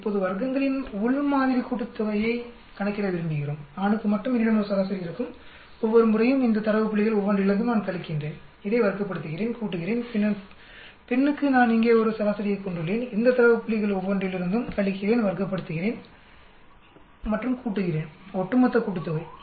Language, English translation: Tamil, Now we want to calculate within sample sum of squares I will have a mean for male alone every time I have subtract from each 1 of these data points, square it up, summit up, then for the female I will have a mean here and subtract from each 1 of these data point, square it up and summit up, over all summation